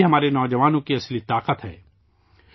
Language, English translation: Urdu, This is the real strength of our youth